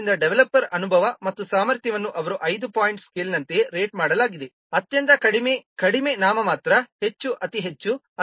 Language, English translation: Kannada, So the developers experience and the capability, they are rated as like one five point scale, very low, low, nominal, high, very high